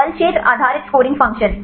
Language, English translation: Hindi, Force field based scoring function Knowledge based